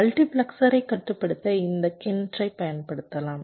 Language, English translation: Tamil, this will can be used to control the multiplexer